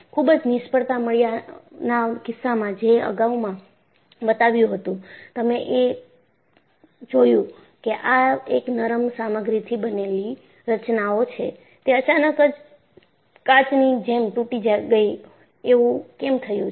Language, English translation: Gujarati, In the case of spectacular failures, which I had shown earlier, you found that, structures made of ductile materials, suddenly broke like glass